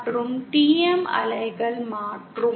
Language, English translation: Tamil, And TM waves are the converse